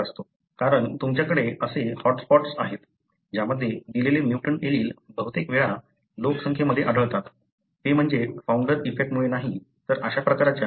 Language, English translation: Marathi, That is why you have such hot spots, wherein a given mutant allele more often comes into the population, not because of founder effect, but because of this kind of changes